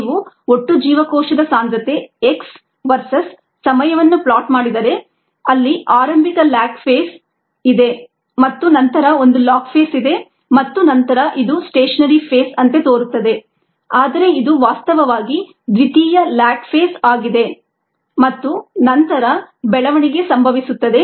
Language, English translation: Kannada, however, for our purposes, the growth curve would look like this: if you plot total cell concentration, x versus time, there is an initial lag phase and then there is a log phase and then this seems like stationary phase, but it is a actually secondary lag phase and then growth occurs